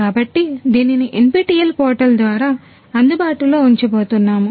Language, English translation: Telugu, So, it is going to be made accessible through the NPTEL portal